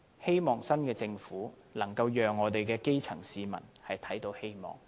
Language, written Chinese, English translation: Cantonese, 希望新的政府能讓我們的基層市民看到希望。, I hope that the Government of the new term can let the grass roots see hope